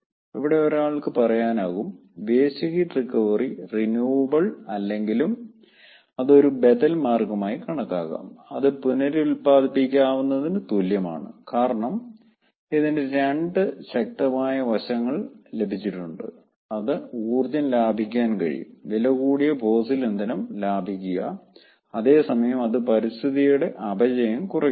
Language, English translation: Malayalam, now here one can say that waste heat recovery, though it is not renewable, but it can come as a alternate way and it can be as as an equivalent of the renewables, because it has also got two aspects, very strong aspects: it can save energy, ah, it can save costly fuel, fossil fuel, and at the same time it is reducing the degradation of the environment